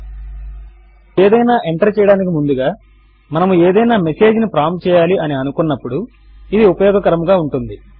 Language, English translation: Telugu, This can be useful if say we want a prompt message before entering something